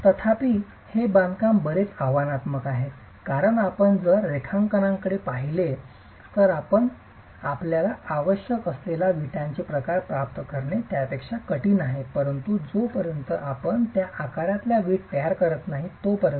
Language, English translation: Marathi, However, this construction is quite challenging because if you look at the drawing, if you look at the drawing, the shape of the brick that you require is rather difficult to achieve unless you are going to be manufacturing the brick in that shape